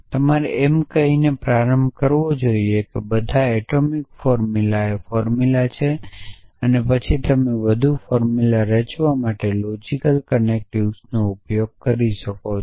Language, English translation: Gujarati, So, you must suppose start of by saying that all atomic formula is formula essentially and then you can use logical connective so construct more formulas